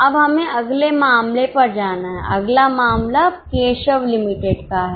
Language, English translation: Hindi, Next one is a case of Keshav Limited